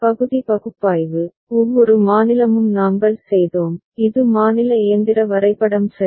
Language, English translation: Tamil, We did part by part analysis, every state and this was the state machine diagram ok